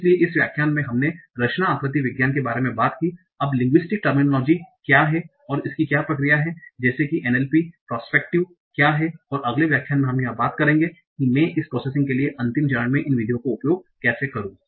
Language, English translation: Hindi, So in this lecture we talked about computational morphology, what are the linguistic terminologies and what is the process as such what is an LP perspective there and in the next lecture we will talk about how do I use finite methods for this processing okay